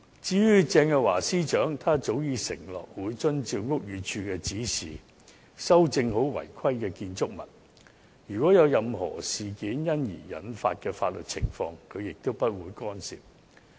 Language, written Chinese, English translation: Cantonese, 至於鄭若驊司長，她早已承諾會遵照屋宇署的指示修正好違規的僭建物；任何因此事而引致的法律情況，她也不會干涉。, Earlier Secretary for Justice Teresa CHENG has pledged to follow the Buildings Departments instructions to rectify the problem concerning the UBWs and she will not interfere with any legal proceedings thus arisen